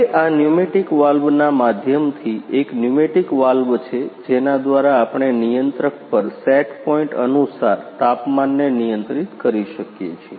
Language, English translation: Gujarati, Now, this is a pneumatic valves by means of pneumatic valves, we can control the temperatures according to set point at controller